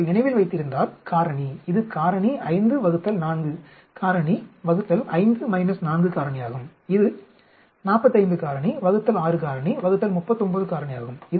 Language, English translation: Tamil, If you remember, the factorial; this is factorial 5 divided by 4 factorial divided by 5 minus 4 factorial, this one is 45 factorial divided by 6 factorial divided by 39 factorial